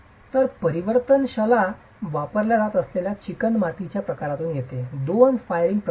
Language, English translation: Marathi, So, variability comes one from the type of clay that is being used, two from the firing process